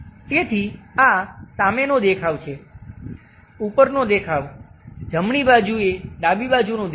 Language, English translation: Gujarati, So, this is front view, top view, left to right left side view